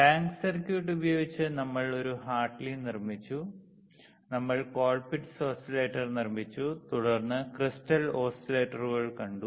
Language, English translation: Malayalam, And using tank circuit, we have constructed a Hartley, we have constructed the Colpitts oscillator, then we have seen the crystal oscillators